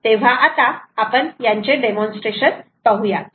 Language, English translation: Marathi, so let us see a demonstration of this